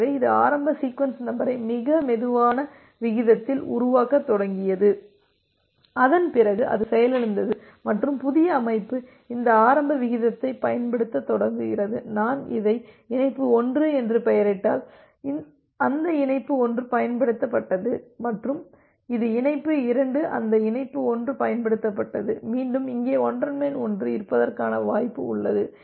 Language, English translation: Tamil, So, it started generating the initial sequence number at a very slow rate and after that it crashed and the new system it just start using this initial rate that say if I name it as connection 1, that connection 1 used and this one as connection 2 that connection was 1 used then again there is a possibility of having a overlap here